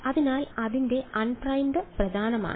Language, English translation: Malayalam, So, its un primed that is important